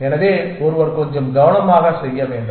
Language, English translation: Tamil, So, one has to do the little more carefully essentially